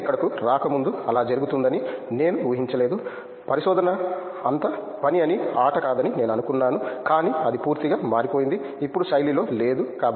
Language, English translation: Telugu, I did not expect that to happen before I coming here I thought research was all work and no play, but well that is has complete changed out, out of style now